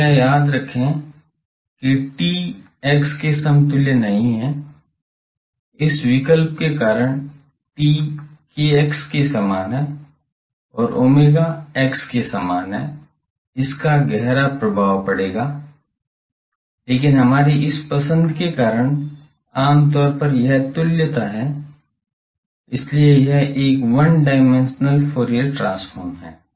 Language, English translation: Hindi, Please remember that t is not equivalent to x, because of this choice, t is corresponding to kx and omega is corresponding to x, this will have profound implication, but because of our this choice, generally this is the equivalence ok, so this is a one dimensional Fourier transform